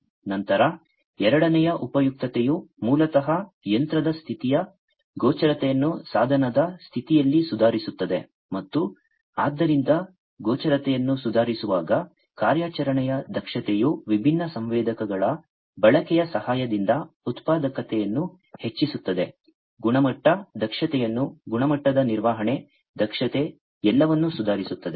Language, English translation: Kannada, Then second utility is basically improving the visibility of what visibility of the machine status, in the device status and so, on improving visibility, operational efficiency will also be improved with the help of use of different sensors likewise increasing productivity, improving quality, efficiency, quality management, efficiency